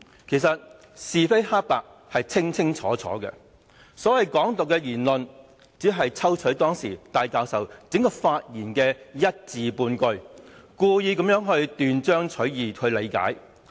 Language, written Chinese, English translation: Cantonese, 其實，是非黑白是清清楚楚的，所謂"港獨"的言論，只是有人抽取當時戴教授整段發言中的一字半句，故意斷章取義地理解。, Indeed right and wrong and black and white are clear to all . The so - called Hong Kong independence remark was just a few words taken out of Prof TAIs entire speech and then deliberately interpreted out of context